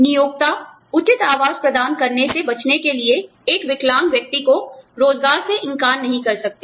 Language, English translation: Hindi, Employers cannot deny, a differently abled person employment, to avoid providing the reasonable accommodation